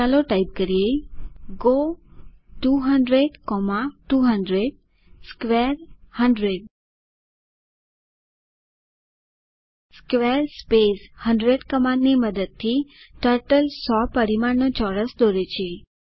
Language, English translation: Gujarati, Lets type go 200,200 square 100 Using the command square 100 Turtle draws a square of dimension 100